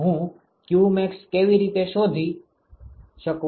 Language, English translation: Gujarati, How do I find qmax